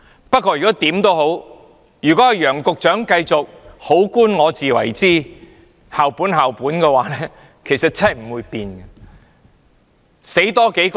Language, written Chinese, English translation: Cantonese, 不過，如果楊局長繼續"好官我自為之"，繼續"校本、校本"，情況真的不會有改變。, However if Secretary YEUNG continues to be holding on to his decent jobs in his own way with his prayer of school - based school - based there will not be change to the situation indeed